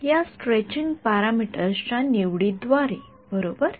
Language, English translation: Marathi, By this choice of stretching parameters right